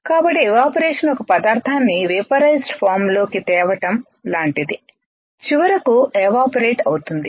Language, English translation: Telugu, So, evaporation is similar to changing a material to it is vaporized form vaporized form and finally, evaporating